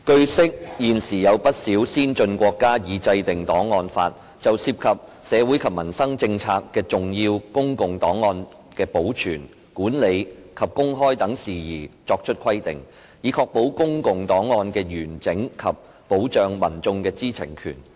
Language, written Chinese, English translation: Cantonese, 據悉，現時有不少先進國家已制定檔案法，就涉及社會及民生政策的重要公共檔案的保存、管理及公開等事宜作出規定，以確保公共檔案的完整及保障民眾的知情權。, It is learnt that at present quite a number of advanced countries have enacted archives laws to set out the requirements in respect of matters such as the preservation and management of and access to important public records on social policies and policies relating to peoples livelihood so as to ensure the integrity of public records and safeguard peoples right to know